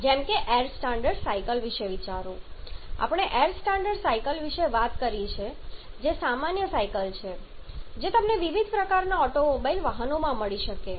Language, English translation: Gujarati, Like think about the air standard cycles we have talked about the air standard cycles which are the common cycles you can find in different kind of automobile vehicles